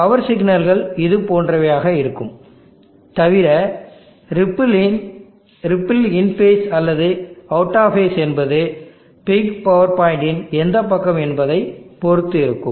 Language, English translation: Tamil, The power signals will be also something like this similar except the ripple will be either in phase or out of phase depending upon which side of the peak power point the current operating point is